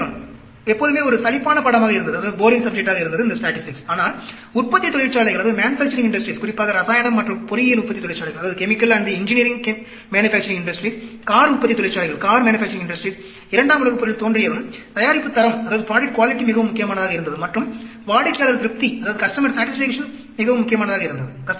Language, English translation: Tamil, Statistics was always a boring subject, but once the manufacturing industries, especially the chemical and the engineering manufacturing industries, car manufacturing industries came into being around 2nd World War, product quality became very very important and customer satisfaction became very important